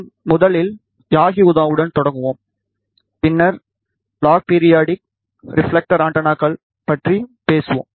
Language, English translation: Tamil, We will first start with yagi uda, then we will talk about log periodic, and then reflector antennas